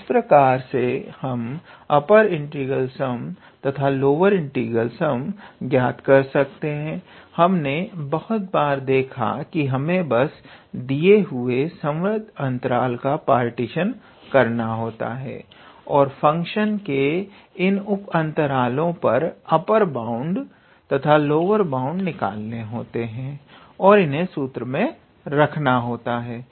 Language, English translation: Hindi, So, this is how we can calculate the upper integral sum and lower integral sum, it is we have seen several times that all we have to do is to find a partition of the given closed interval and you need to calculate the upper bound and lower bound of the function in those sub intervals and then put it in this formula